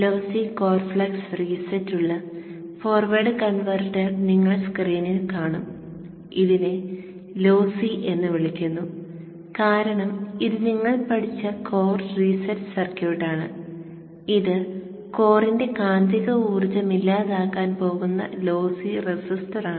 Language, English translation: Malayalam, So if we open this forward converter schematic, so you will see on the screen the forward converter with lossy core flux reset, calling it lossy because this is the core reset circuit which we studied and this is the lossy resistor which is going to dissipate the magnetizing energy out of the core